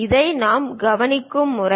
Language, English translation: Tamil, This is the way we show it